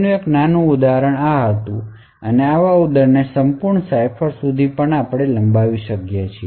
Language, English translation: Gujarati, So this was a toy example and such an example could be extended to a complete cipher